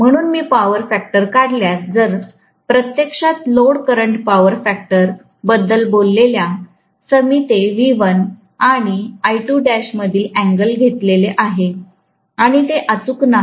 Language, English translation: Marathi, So, if I draw the power factor, actually speaking the load current power factor I have taken that as the angle between V1 and I2 dash, which is not accurate